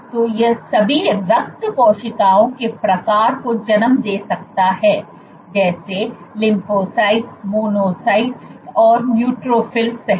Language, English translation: Hindi, So, it can give rise to all blood cell types; including lymphocyte, monocyte and neutrophil